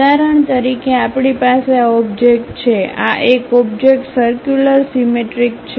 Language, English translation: Gujarati, For example, we have this object; this is circular symmetric